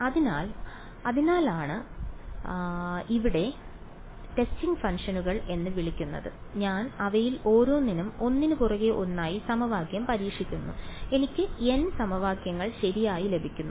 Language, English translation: Malayalam, So, that is why these are called testing functions, I am testing the equation with each one of them one after the other and I am getting n equations right